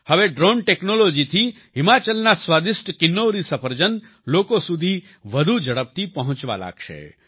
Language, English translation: Gujarati, Now with the help of Drone Technology, delicious Kinnauri apples of Himachal will start reaching people more quickly